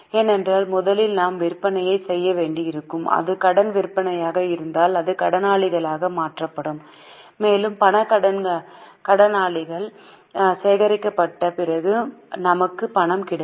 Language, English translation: Tamil, It takes a long time to convert them into cash because first of all we will have to make sales then if it is a credit sale it will get converted into debtors and after the cash daters are collected we will get cash